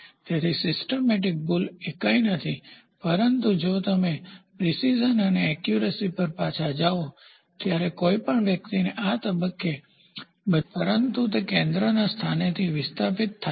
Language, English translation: Gujarati, So, systemic error are nothing, but if you go back to precision and accuracy somebody trying to hit all or fire all the bullets at this point they are very accurate, but they are displaced from the centre point